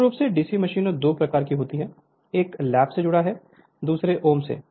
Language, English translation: Hindi, Basically DC machines are of two type; one is lap connected, another is om